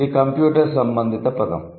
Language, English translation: Telugu, So, that is a computer related word